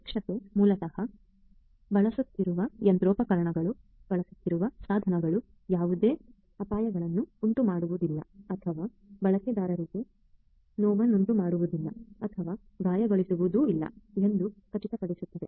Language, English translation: Kannada, Safety basically ensures that the machinery that are being used, the devices that are being used are not going to pose any risks or are going to not hurt or you know or give injury to the users